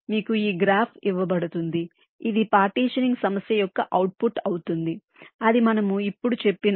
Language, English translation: Telugu, you will be given this graph, which will be the output of the partitioning problem